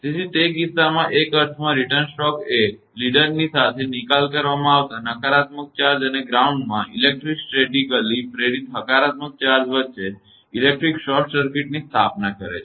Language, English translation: Gujarati, So, in that case in a sense the return stroke establishes an electric short circuit between the negative charge disposited along the leader and the electrostatically induced positive charge in the ground